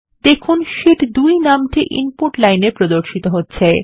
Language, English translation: Bengali, You see that the name Sheet 2 is displayed on the Input line